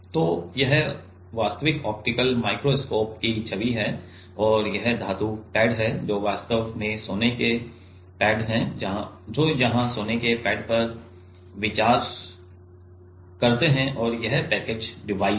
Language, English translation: Hindi, So, this is actual optical microscope image and this is the metal pad which are actually gold pads consider gold pads here and this is the package device